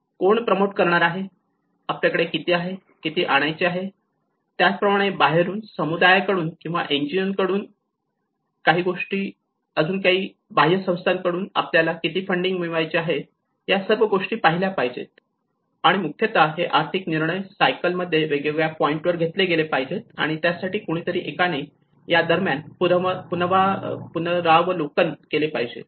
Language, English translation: Marathi, Who is going to promote, how much we have, how to bring, how to pull out funding from the crowdsourcing or the community sources or an NGOs or an external so this whole thing has to be looked at and mainly the financial decisions may be taken at different points in the cycle, so one has to keep reviewing intermediately